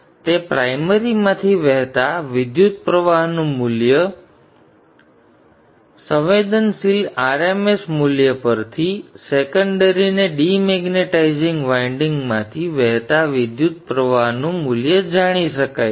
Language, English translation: Gujarati, So, RMS value of current flowing through the primary, we know that from the electrical perspective, RMS value of the current flowing through the secondary is known, RMS value of the current flowing through the dematizing winding